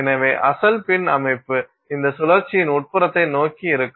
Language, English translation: Tamil, So, the original pin structure will be there towards the interior of this pin